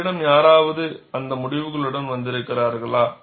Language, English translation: Tamil, Have any one of you come with those results